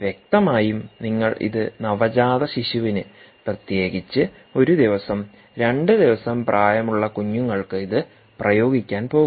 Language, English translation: Malayalam, obviously, if you are going to apply this to neonatal neonatals, particularly one day, two day old born babies, this has to be made out of very soft material